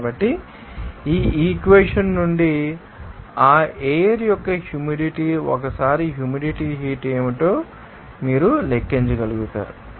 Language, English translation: Telugu, So, from this equation, you will be able to calculate what should be the humid heat once you know that humidity of that, you know, air